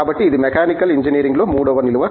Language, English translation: Telugu, So, that is the third vertical in Mechanical Engineering